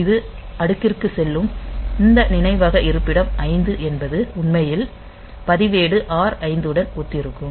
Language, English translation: Tamil, So, this will go to stack and this as we know that memory location 5 actually it corresponds to the register R 5 in the